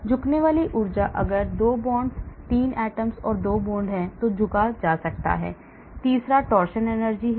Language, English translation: Hindi, Bending energy, if there are 2 bonds, 3 atoms, 2 bonds, there could be bending , third one is torsion energy